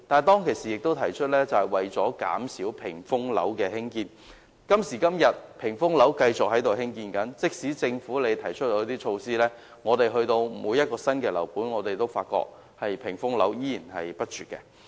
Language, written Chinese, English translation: Cantonese, 當時也提出減少興建"屏風樓"，但今時今日，發展商仍繼續興建"屏風樓"，即使政府提出一些措施，但每個新樓盤的"屏風樓"仍然不絕。, Requests for reducing screen - like buildings were also voiced in the past but today we can still find screen - like buildings being constructed by developers . Although the Government has already proposed some measures to address the issue we can still find new building developments creating wall effect to the surrounding